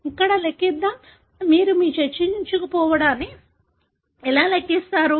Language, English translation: Telugu, Let’s calculate here, how do you calculate penetrance